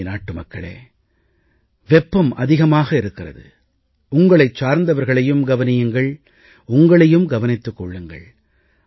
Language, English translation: Tamil, My dear countrymen, the weather is too hot and inhospitable , take care of your loved ones and take care of yourselves